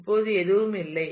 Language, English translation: Tamil, Now there is nothing